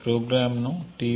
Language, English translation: Telugu, The program is called t1